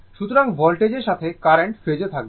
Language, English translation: Bengali, So, current will be in phase with the voltage